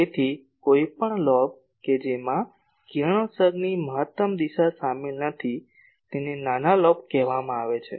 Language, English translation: Gujarati, So, any lobe which is not containing the maximum direction of radiation is called minor lobe